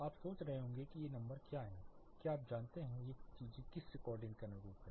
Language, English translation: Hindi, You are wondering what these numbers, you know what these things correspond to which recording it is